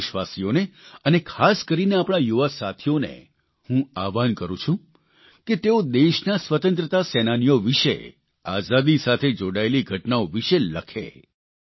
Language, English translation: Gujarati, I appeal to all countrymen, especially the young friends to write about freedom fighters, incidents associated with freedom